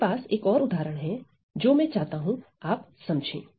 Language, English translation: Hindi, Then there is one more example I need you to see